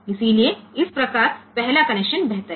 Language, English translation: Hindi, So, thus the first connection is better ok